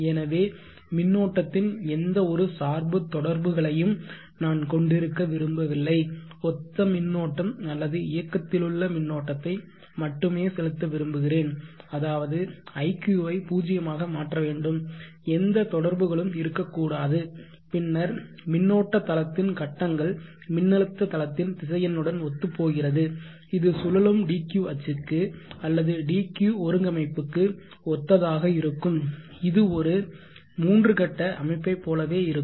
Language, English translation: Tamil, So I would not like to have any quadrature component of the current I would like to inject only active current which means in phase current so therefore iq has to set to 0 there should not be any quadrature component then the current space phaser will become in line with the voltage space vector which will be in line with the dq axis of the rotating dq axis co ordinate system just like in a three phase system